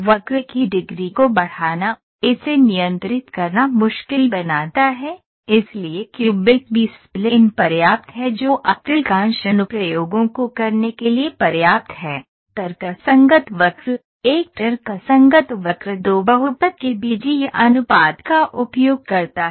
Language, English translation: Hindi, Increasing the degree of the curve, makes it difficult to control, hence cubic B spline is sufficient enough to do majority of the applications So now, what is happening, we found out that B spline also has some difficulty, in order to get out of the difficulty we went to rational curves